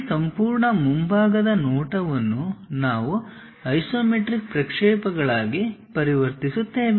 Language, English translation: Kannada, This is the way we transform that entire front view into isometric projections